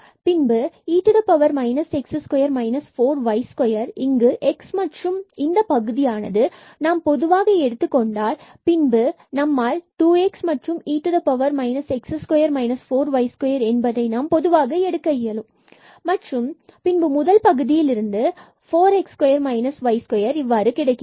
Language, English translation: Tamil, And then this term we can take common with this x here; in fact, this 2 x we can take common and e power minus x square minus 4 y square, then from this first term, we will get this 4 x square and minus y square